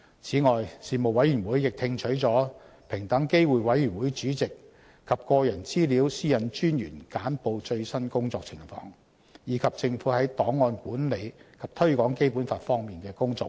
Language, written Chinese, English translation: Cantonese, 此外，事務委員會亦聽取了平等機會委員會主席及個人資料私隱專員簡報最新工作情況，以及政府在檔案管理及推廣《基本法》方面的工作匯報。, Besides the Panel received briefings respectively by the Equal Opportunities Commission Chairperson and the Privacy Commissioner for Personal Data on an update of their work . The Panel was also briefed on the work of the Government in managing government records and promoting the Basic Law